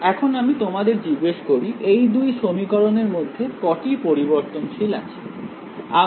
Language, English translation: Bengali, Now, let me ask you how many variables are there in these 2 equations